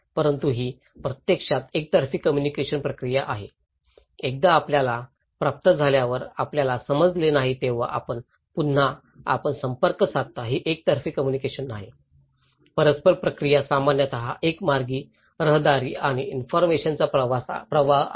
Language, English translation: Marathi, But it’s actually a one way communication process, once you receive then you didn’t understand then you again, you contact it is not a one two way communication, reciprocal process is generally one way traffic and flow of information